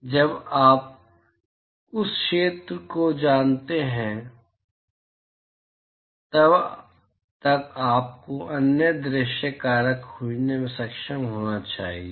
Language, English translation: Hindi, So, as long as you know the area you should be able to find the other view factor